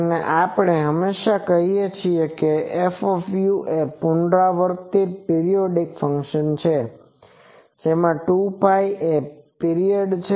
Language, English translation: Gujarati, And we always say that F u is a repeats periodic function with 2 pi is the period